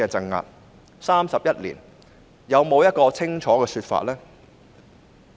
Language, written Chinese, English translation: Cantonese, 現在 ，31 年過去，有沒有清楚的說法？, Now 31 years have passed is there a clear account for it?